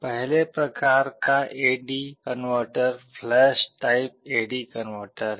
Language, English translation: Hindi, The first type of AD converter is the flash type A/D converter